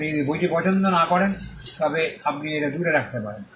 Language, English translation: Bengali, If you do not like the book, you can keep it away